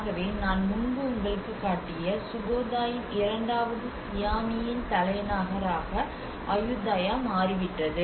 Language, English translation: Tamil, So that is where the Ayutthaya has became the second Siamese capital of the Sukhothai, Sukhothai which I showed you earlier